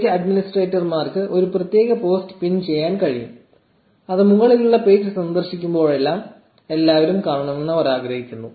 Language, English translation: Malayalam, Page administrators can pin a particular post, which they want everyone to see whenever they visit the page at the top